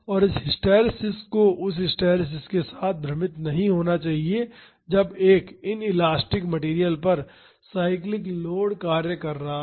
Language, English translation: Hindi, And, this hysteresis should not be confused with the hysteresis when a cyclic load is acting on an inelastic material